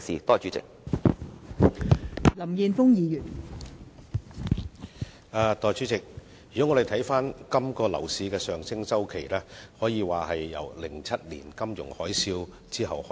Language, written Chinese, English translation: Cantonese, 代理主席，今個樓市的上升周期，可以說自2007年發生金融海嘯後開始。, Deputy President the current cycle of property prices spike can be said to begin after the occurrence of the financial tsunami in 2007